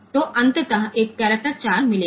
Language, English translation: Hindi, So, ultimately a will get that character 4